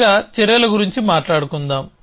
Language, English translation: Telugu, So, let us talk of actions first